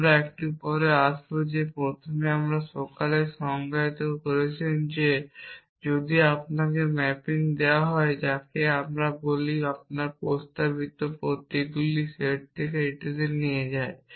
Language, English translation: Bengali, We will come to that a bit later first you all the defined that if you are given the mapping a which we call we which takes you from the set of propositional symbols to this